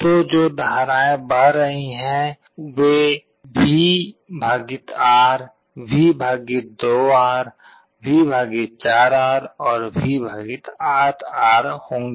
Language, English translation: Hindi, So, the currents that are flowing they will be V / R, V / 2R, V / 4R, and V / 8 R